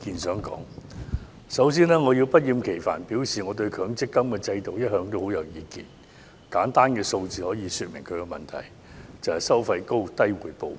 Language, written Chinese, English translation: Cantonese, 首先，我要不厭其煩地表示我對強制性公積金制度一向很有意見，簡單數個字已可說明其問題，就是"收費高、回報低"。, First of all I do not mind reiterating once again that I take issue with the Mandatory Provident Fund MPF System . A few words can sum up its problem―charging high fees but yielding low returns